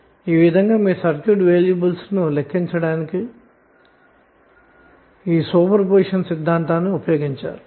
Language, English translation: Telugu, So in this way you can use these super position theorem to calculate the circuit variable